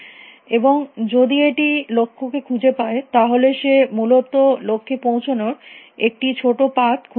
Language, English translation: Bengali, And if it finds the goal it should have found a shortest path essentially goal